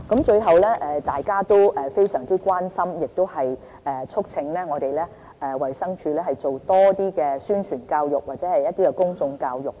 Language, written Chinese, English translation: Cantonese, 最後，大家非常關心和促請衞生署多做一些宣傳教育和公眾教育。, In the end Members have paid much attention to public education and publicity as well as urging DH to strengthen relevant efforts